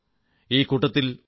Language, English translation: Malayalam, In this regard F